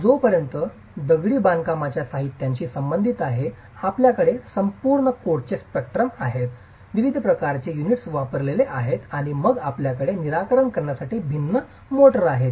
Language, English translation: Marathi, As far as the masonry materials are concerned, you have an entire spectrum of codes, the different types of units are covered and then you have different motors that have to be addressed